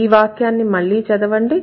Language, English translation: Telugu, So, let's read the sentence again